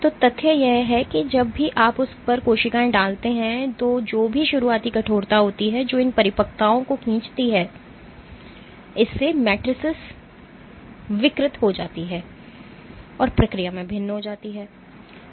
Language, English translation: Hindi, So, this is saying that whatever be the starting stiffness when you put cells on it which pull on these matrices the matrices deform and becomes differ in the process